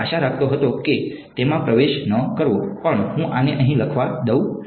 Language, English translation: Gujarati, I was hoping to not get into it, but I will let us write this over here